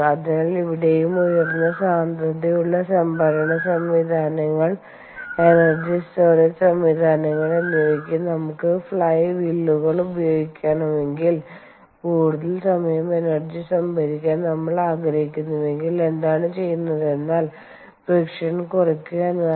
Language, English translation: Malayalam, so here also, if we want to use fly wheels for high density storage systems, energy storage systems and where we and we want to store the energy for a longer period of time, then what happens is we have to minimize friction